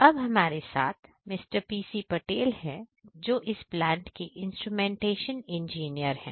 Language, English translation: Hindi, PC Patel who is the instrumentation engineer of this particular plant